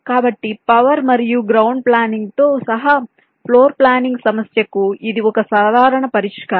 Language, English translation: Telugu, so this is a typical solution to the floor planning problem, including power and ground planning